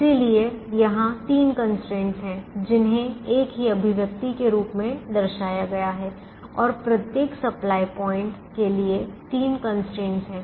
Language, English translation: Hindi, so there are three constraints here which are represented in the form of a single expression, and there are three constraints for each one, each for each of the supply points